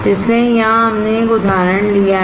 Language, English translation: Hindi, So, here we have taken one example